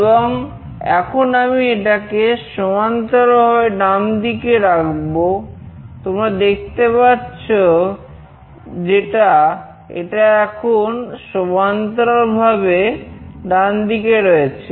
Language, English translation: Bengali, And now I will make it horizontally right, so you can see that it is now horizontally right